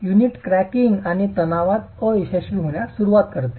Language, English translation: Marathi, The unit starts cracking and failing in tension